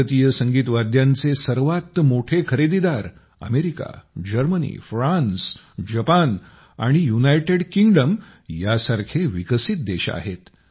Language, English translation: Marathi, The biggest buyers of Indian Musical Instruments are developed countries like USA, Germany, France, Japan and UK